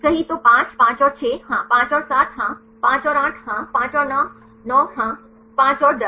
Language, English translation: Hindi, Right then 5; 5 and 6 yes, 5 and 7 yes, 5 and 8 yes, 5 and 9 yes 5 and 10